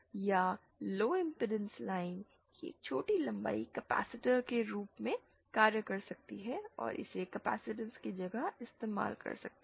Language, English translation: Hindi, Or a short length of low impedance line can act as a capacitor and it can be substitute it for the capacitance